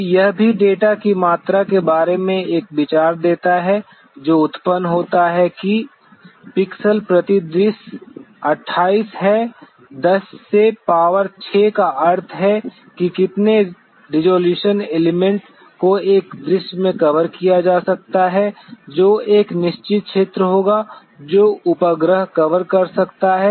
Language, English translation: Hindi, So, this also gives an idea about the amount of data that is generated pixels per scene is 28 into 10 to power 6 means the how many number of such resolution elements could be covered in one scene which would be a certain area that the satellite can recovers